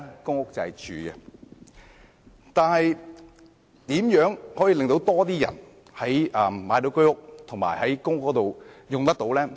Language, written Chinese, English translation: Cantonese, 然而，如何可以令更多人能購買居屋和入住公屋呢？, Nevertheless what should be done to enable more people to purchase HOS flats and be housed in PRH?